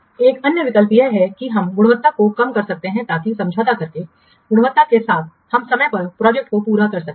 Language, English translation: Hindi, Another option is that we can reduce the quality so that by compromising the quality we can finish the project on time